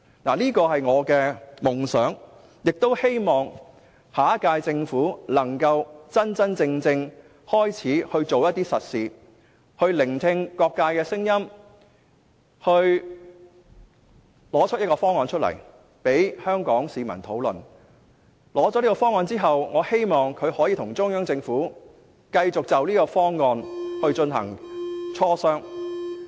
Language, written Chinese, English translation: Cantonese, 這是我的夢想，也希望下屆政府能夠真正開始做實事，聆聽各界的聲音，提出一個方案，供香港市民討論，並在提出這個方案之後，能夠繼續跟中央政府就方案進行磋商。, This is my dream and I hope that the next - term Government will really be able to do practical work pay heed to the voices of people from all walks of life and put forward a proposed reform package for discussion by the public . Moreover it is expected to continue discussions with the Central Government after putting forth the proposal